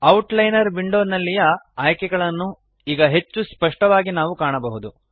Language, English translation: Kannada, We can see the options in the Outliner window more clearly now